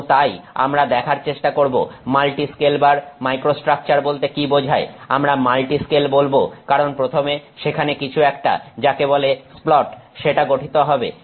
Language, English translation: Bengali, And so, we would like to see what this multi scale time microstructure is, we say multi scale because first there are something called a splat that is formed